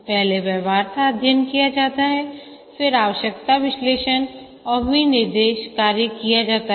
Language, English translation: Hindi, First the feasibility study is undertaken, then requirements analysis and specification work is undertaken